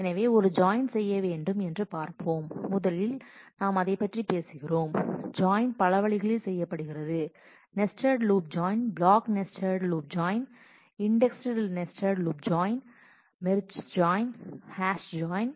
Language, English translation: Tamil, So, let us see what will it take to do a join so, first we talk about so, the join could be done in several ways nested loop join, block nested loop join, indexed nested loop join, merge join, hash join